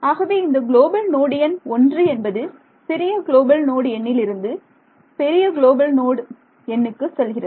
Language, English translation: Tamil, So, I can say that global edge number 1 is from smaller global node number to larger global node number